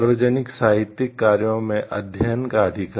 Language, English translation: Hindi, The right to recite in a public literary works